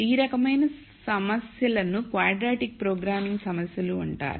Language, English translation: Telugu, Those types of problems are called quadratic programming problems